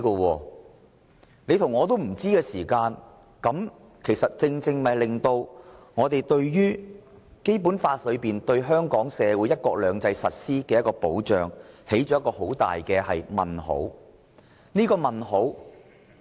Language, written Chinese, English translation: Cantonese, 當大家皆不知道時，便正正使《基本法》對香港社會實施"一國兩制"的保障敲起很大的問號。, In that case the Basic Laws assurance that one country two systems shall be practised in Hong Kong society will precisely be overshadowed by a huge question mark